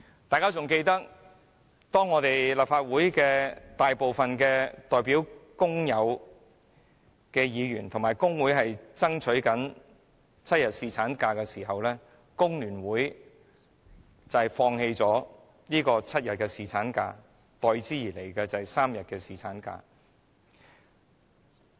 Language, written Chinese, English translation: Cantonese, 大家應該記得，當立法會大部分代表工友的議員和工會爭取7天侍產假的時候，工聯會放棄了爭取7天的侍產假，代之而來的是3天侍產假。, We may recall that when most of the Legislative Council Members representing workers and trade unions were fighting for seven days paternity leave FTU gave in and agreed to accept three days paternity leave